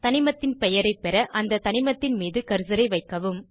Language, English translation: Tamil, To get the name of the element, place the cursor on the element